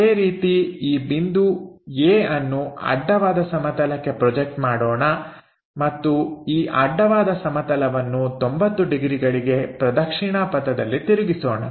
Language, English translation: Kannada, Similarly, this A projection onto that horizontal plane and unfolding this horizontal plane by 90 degrees in the clockwise direction